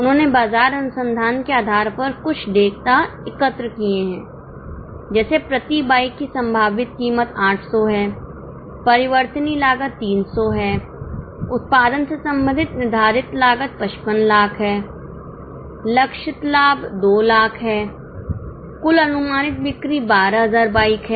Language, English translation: Hindi, They have collected some data based on market research like the likely price per bike is 800, variable cost is 300, fixed costs related to production are 55 lakhs, target profit is 2 lakhs, total estimated sales are 12,000 bikes